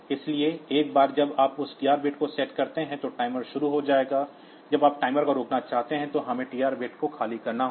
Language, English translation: Hindi, So, you can once you set that TR bit the timer will start, when you want to stop the timer we have to clear the TR bit